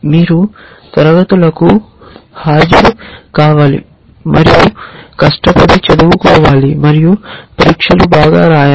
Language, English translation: Telugu, You have to attend classes and study hard and write exams well and so on